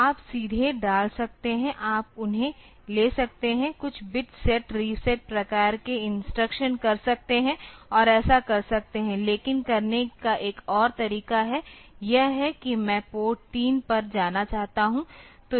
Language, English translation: Hindi, So, you can directly put, you can take those, do some bit set reset type of instruction and do that, but another way of doing, it is I want to go to port 3